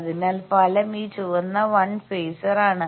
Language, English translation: Malayalam, So, the resultant is this red 1 phasor